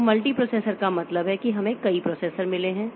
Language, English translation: Hindi, So, multiprocessor means we have got multiple processors